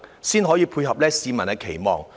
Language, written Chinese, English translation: Cantonese, 這樣才符合市民的期望。, Only then can it meet the publics expectations